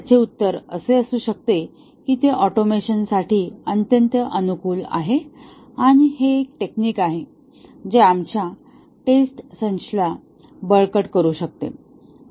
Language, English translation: Marathi, The answer can be that advantage is that it is highly amenable to automation and it is a technique which can strengthen our test suite